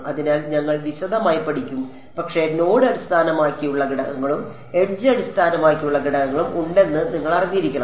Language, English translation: Malayalam, So, we will we will studied in detail, but you should know that there are node based elements and edge based elements